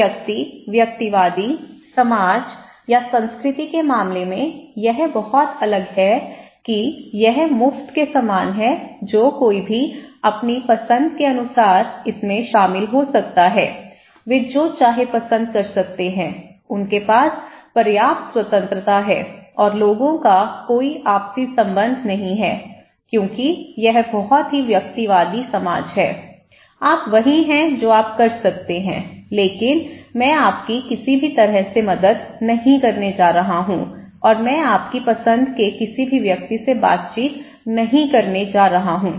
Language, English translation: Hindi, In case of individualities, individualistic society or culture, it’s very different according to it’s like free whoever can join whatever choice they have, they can pursue whatever like, they have enough freedom and people have no mutual support because it’s very individualistic society, you are what you can do but I am not going to help you anyway and interact with anyone you like, okay